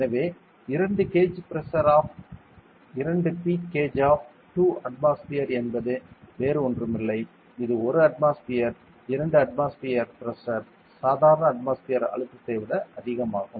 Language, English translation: Tamil, So, 2 gauge pressure of 2 P gauge of 2 atmosphere means nothing, but 1 atmospheric 2 atmospheric pressure greater than the normal atmospheric pressure that is it